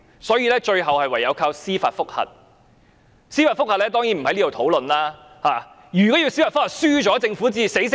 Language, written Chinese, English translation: Cantonese, 所以，最後唯有靠司法覆核，我當然不會在這裏討論司法覆核。, In the end we can only resort to judicial review . Of course I am not going to discuss the judicial review case here